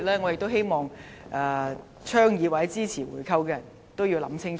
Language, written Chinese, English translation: Cantonese, 我希望倡議或支持回購的人清楚考慮。, I hope those who advocate or support the buy - back will consider this carefully